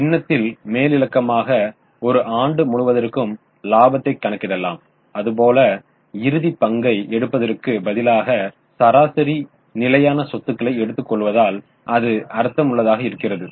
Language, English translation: Tamil, See in the numerator the profit is calculated for the whole year so it makes sense to instead of taking the closing take the average fixed assets